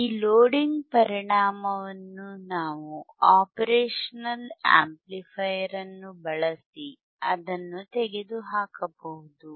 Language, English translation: Kannada, Since, loading effect, which we can remove if we use the operational amplifier if we use the operational amplifier that